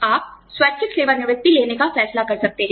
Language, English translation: Hindi, You may decide, to take voluntary retirement